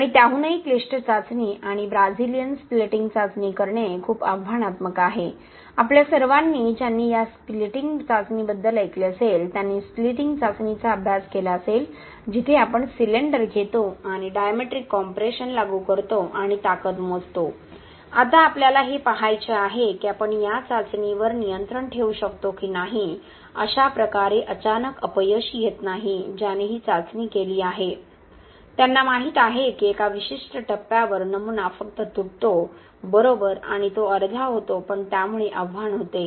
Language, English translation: Marathi, And even more complicated test and very challenging is to do the Brazilian splitting test, all of us who would have heard about this splitting test, you would have studied about the splitting test, where we take a cylinder and be apply diametric compression and calculate the strength, now what we wanted to do is see if we can control this test such that there is no sudden failure, anyone who has done this test knows that at a certain point the specimen just breaks, right and it get two halfs but so the challenge was to see if we can run this test without the sudden failure and we achieved it by putting two steel plates here